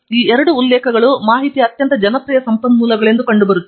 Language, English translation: Kannada, And, these two are seen as the most popular resources of information for citation